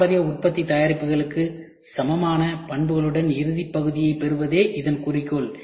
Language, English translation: Tamil, The goal is to obtain final part with properties equal to the traditional manufacturing products